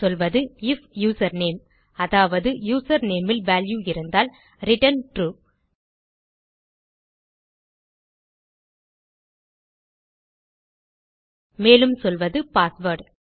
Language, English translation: Tamil, So here Ill say if username which means if username has a value, it will return TRUE and Ill say password